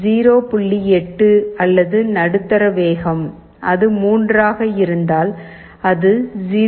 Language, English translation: Tamil, 8 or medium speed, and if it is 3 then it is 0